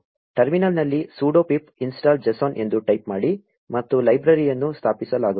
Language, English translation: Kannada, Just type sudo pip install json in the terminal and the library will be installed